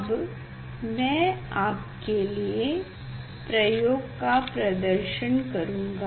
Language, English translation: Hindi, now, I will demonstrate the experiment